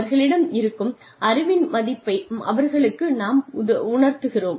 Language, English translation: Tamil, We show them, the value of the existing knowledge, that they have